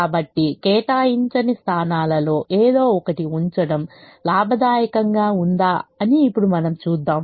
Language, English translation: Telugu, we will now see whether it is profitable to put something in a unallocated position now